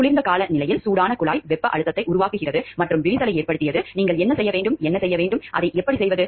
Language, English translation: Tamil, You conclude the hot pipe in cold weather created thermal stresses and caused cracking, what can and should you do and how do you go about it